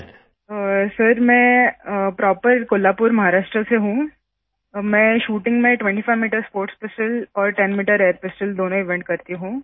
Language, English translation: Hindi, Sir I am from Kolhapur proper, Maharashtra, I do both 25 metres sports pistol and 10 metres air pistol events in shooting